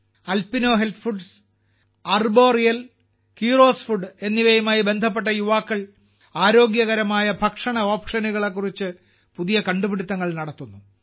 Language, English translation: Malayalam, The youth associated with Alpino Health Foods, Arboreal and Keeros Foods are also making new innovations regarding healthy food options